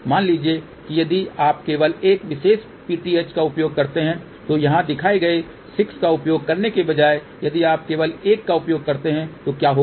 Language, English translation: Hindi, Suppose if you use only one particular PTH ok instead of using 6 shown over here if you use only one so what will happen